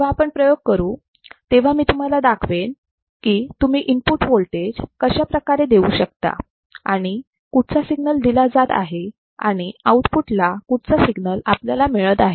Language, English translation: Marathi, When we perform the experiments, I will show you how you are applying the input voltage and which particular signal is applied and what is the signal at the output and whether the shape has changed or not